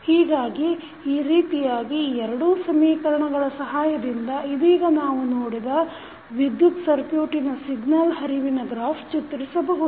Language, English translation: Kannada, So, in this way with the help of these two equations, we can draw the signal flow graph of the electrical circuit which we just saw